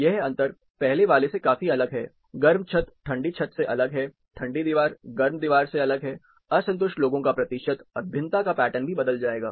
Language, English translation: Hindi, This difference, this is also considerably different from one, warm ceiling is different from that of the cold ceiling, cold wall is different from that of the warm wall, the percentage of the dissatisfied, and the pattern of variation is also going to vary